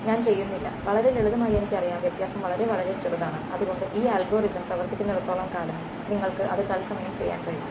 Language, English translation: Malayalam, I do not, well for very simple where I know the contrast is going to be very very low then as long as this algorithm works very quickly you could do it in real time